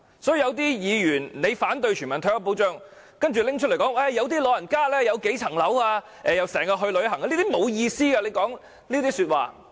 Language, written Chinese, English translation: Cantonese, 所以，有些議員反對全民退休保障，說有些老人家持有數個物業，又經常去旅行等，說這些話是沒有意思的。, So is public health care . Hence it is pointless for Members who oppose universal retirement protection to say that some elderly people hold several property units travel a lot and so on